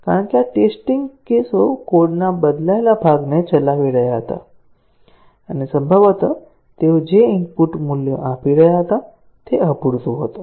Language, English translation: Gujarati, Because, these test cases were executing the changed part of the code and possibly, the input values they were giving was inadequate